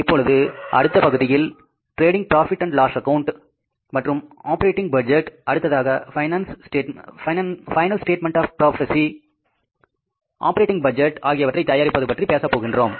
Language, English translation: Tamil, Now, next part we'll be talking about is that for say preparing the profit and loss account and the operating budget and the final statement of the operating budget, that is the profit and loss account, we need to have the sales